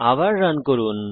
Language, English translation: Bengali, Lets run again